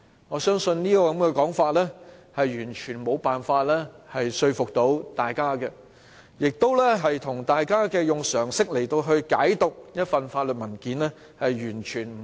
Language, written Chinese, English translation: Cantonese, 我相信，這種說法完全無法說服大家，亦完全有違於大家以常識來解讀一份法律文件時的理解。, This argument I believe is completely unconvincing and totally against any sensible interpretation of this constitutional document